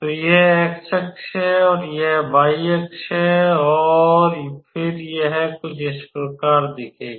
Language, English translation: Hindi, So, it will look like this is x axis and this is y axis and then it would look somewhat of this type